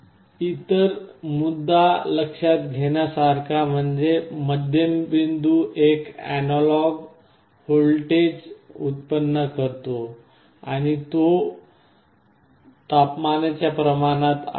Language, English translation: Marathi, The other point to note is that the middle point is generating an analog output voltage and it is proportional